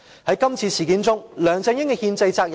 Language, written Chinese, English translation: Cantonese, 在今次事件中，梁振英有何憲制責任？, In this incident what constitutional duties does LEUNG Chun - ying have to undertake?